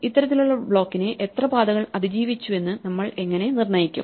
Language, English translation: Malayalam, So, how do we determine how many paths survived this kind of block